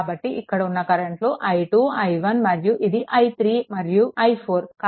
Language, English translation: Telugu, So, ah these are the current i 2 i 1 and your i 3 and i 4, right